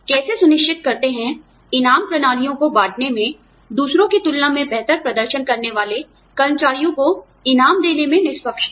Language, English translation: Hindi, How do you ensure, fairness in dispersing reward systems, rewards to the employees, who are performing, better than others